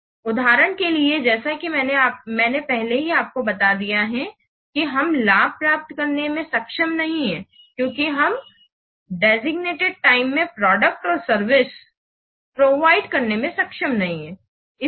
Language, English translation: Hindi, So, for example, as I have already told you, we are not able to what, get the benefit because our service we are providing or the product we are providing, we are not able to provide in the designated time